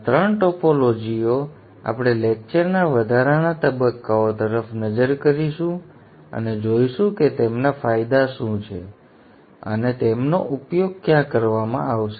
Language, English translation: Gujarati, These three topologies we will look at the initial stages of the lectures and see what are their advantages and where they will be used